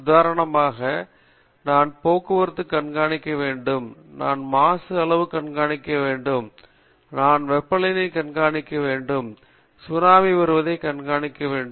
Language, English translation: Tamil, For example, I need to monitor traffic, I need to monitor pollution level, I need to monitor temperature, I need to monitor say tsunami today